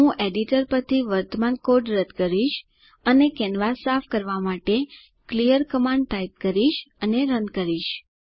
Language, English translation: Gujarati, I will clear the current code from the editor type clear command and Run to clean the canvas